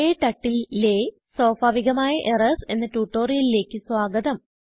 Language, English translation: Malayalam, Welcome to this tutorial on Common Errors in KTurtle